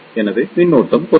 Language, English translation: Tamil, So, the current will reduce